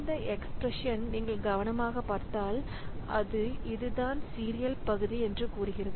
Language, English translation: Tamil, Now, you see if you look into this expression carefully, so it says that so this is the serial portion